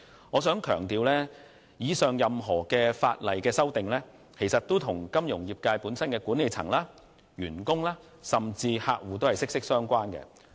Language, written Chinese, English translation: Cantonese, 我必須強調，上述的法例修訂，均與金融業界的管理層、員工及客戶息息相關。, I must emphasize that the above mentioned legislative amendments are closely linked to the management employees and clients of the financial sector